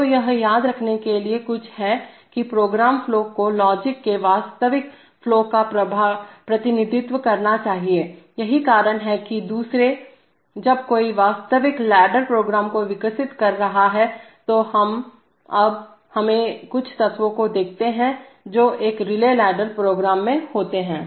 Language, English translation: Hindi, So this is something to remember that the program flow should represent the actual flow of logic, that is what causes the other, when one is developing real ladder programs, so now we, let us, let us look at some of the elements which occur in a relay ladder program